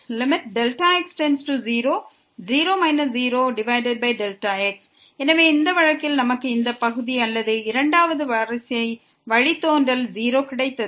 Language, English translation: Tamil, So, in this case we got this partial or a second order derivative as 0